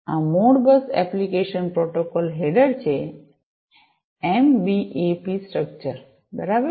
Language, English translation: Gujarati, This is the Modbus application protocol header, the MBAP structure, right